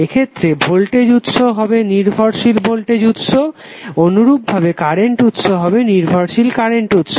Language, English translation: Bengali, In this case voltage source would be dependent voltage source similarly current source would also be the dependent current source